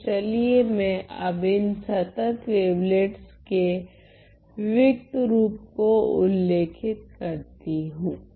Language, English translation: Hindi, So, let me now start describing the discrete form of these continuous wavelets